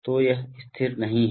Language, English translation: Hindi, So it is not constant